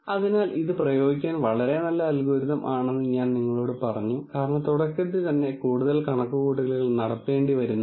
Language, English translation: Malayalam, So, I told you that while this is a very nice algorithm to apply, because there is not much computation that is done at the beginning itself